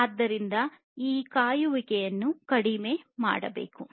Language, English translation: Kannada, So, this waiting has to be minimized